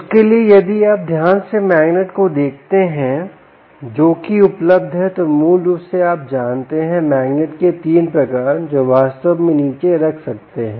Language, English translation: Hindi, for that, if you look carefully at the magnets which are available, there are basically, ah, um, ah, um, you know, three types of magnets which one can actually put down